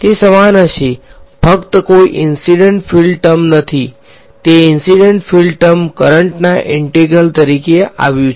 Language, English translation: Gujarati, It will be identical accept that there is no incident field term that incident field term came as the integral of the current